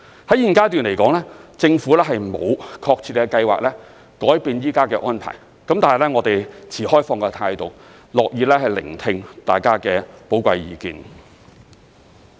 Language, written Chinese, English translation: Cantonese, 在現階段，政府沒有確切計劃改變現時的安排，但我們持開放態度，樂意聆聽大家的寶貴意見。, At the present stage the Government does not have a specific plan to change the existing arrangement . But we adopt an open attitude to this subject and will be happy to listen to the valuable inputs from Members